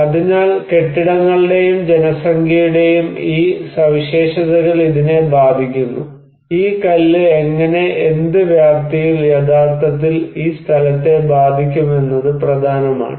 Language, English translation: Malayalam, So, these characteristics of the buildings and population, they do matter, that how and what extents this stone can actually affect this place